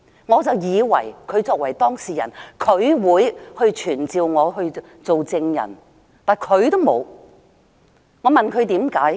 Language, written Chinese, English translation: Cantonese, 我以為她作為當事人，會傳召我作證，而她卻沒有傳召我。, I thought she as the person being charged would summon me as a witness but she did not